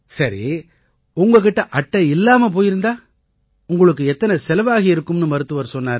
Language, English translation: Tamil, Ok, if you did not have the card, how much expenses the doctor had told you